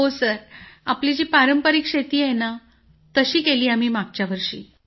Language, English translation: Marathi, Yes, which is our traditional farming Sir; we did it last year